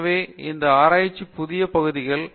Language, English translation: Tamil, So, these are the new areas of research